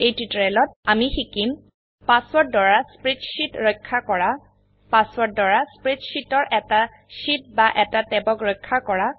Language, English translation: Assamese, In this tutorial we will learn how to: Password protect a spreadsheet Password protect a single sheet or a tab in a spreadsheet